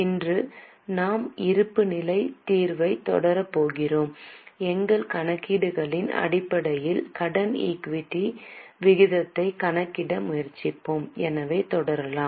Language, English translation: Tamil, Today we are going to continue with our solution of balance sheet and we will try to calculate debt equity ratio based on our calculations